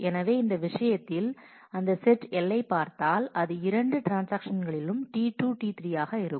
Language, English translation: Tamil, So, if we look at that set L in this case, then it will be T 2, T 3 these two transactions